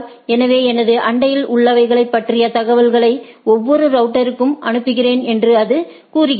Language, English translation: Tamil, So, what it says that I send information about my neighbors to every router